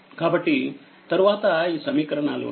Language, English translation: Telugu, So, this later later equations are there right